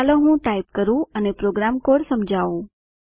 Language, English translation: Gujarati, Let me type and explain the program code